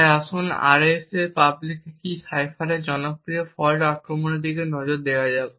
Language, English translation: Bengali, So let us take a look at a popular fault attack on the RSA public key cipher